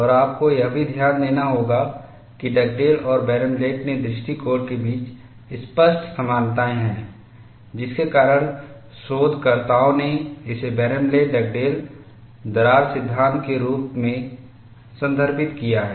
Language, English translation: Hindi, And you will also have to note, that there are obvious similarities between the approach of Dugdale and Barenblatt, which has led researchers to refer it as Barenblatt Dugdale crack theory